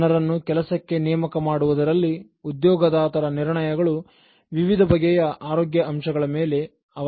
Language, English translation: Kannada, Employers’ crucial decisions in appointing people depend on various health factors